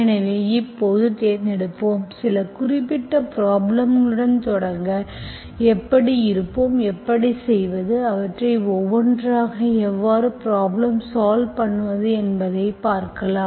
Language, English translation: Tamil, So we will now choose, we will start with certain set of problems and then we will see how we will, how to, how to solve them one by one, okay